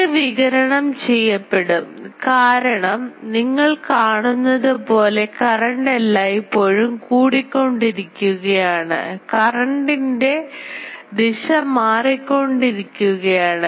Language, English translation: Malayalam, Now, this one will radiate because you see always the current is accelerating because the direction of the current is changing